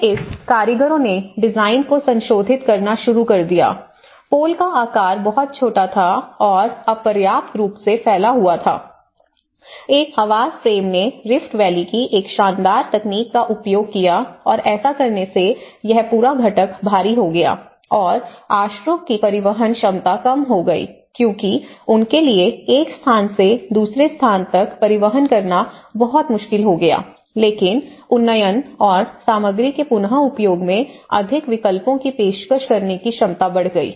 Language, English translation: Hindi, And then this artisans, started modifying the design, the pole sizes were too small and inadequately spaced, built a housing frame use a vernacular technology of the Rift Valley and by doing so, this whole component become heavier and the reducing the transportability of shelters because itís very difficult for them to transport from one place to another place but enhancing the ability to upgrade and offering more options in the reuse of materials